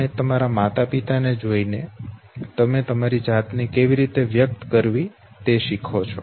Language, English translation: Gujarati, You also look at your parents you learn how to express yourself